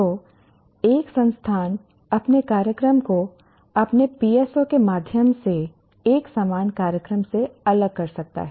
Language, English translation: Hindi, So, an institute can differentiate its program from a similar program through its PSOs